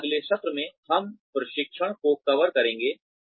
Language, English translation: Hindi, And, in the next session, we will cover training